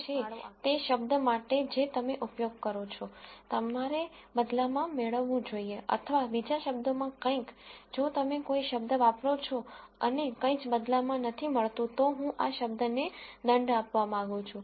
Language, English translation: Gujarati, So, one might say that for every term that you use, you should get something in return or in other words if you use a term and get nothing in return I want to penalize this term